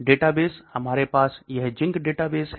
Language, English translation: Hindi, Databases, we have this ZINC database